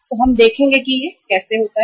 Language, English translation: Hindi, Now let us see what happens